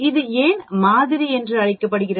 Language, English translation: Tamil, Why is this called sample